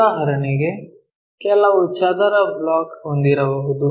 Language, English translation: Kannada, For example, if we might be having some square block